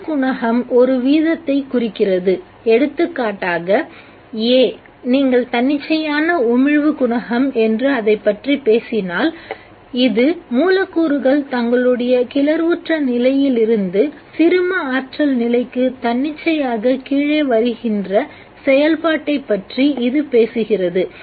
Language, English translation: Tamil, One coefficient refers to the rate at which for example A if you talk about it as a spontaneous emission coefficient, it talks about a process by which the molecule comes down from its excited state to the ground state spontaneously